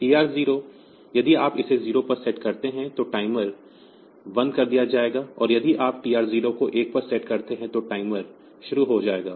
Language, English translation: Hindi, So, TR 0 if you set this bit to 0, then the timer will be stopped, and if you set the TR b to 1, then the timer will be started